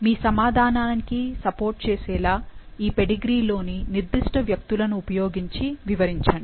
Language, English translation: Telugu, Explain using specific individuals in the pedigree to support your answer